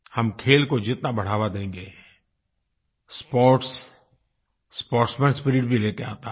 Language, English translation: Hindi, The more we promote sports, the more we see the spirit of sportsmanship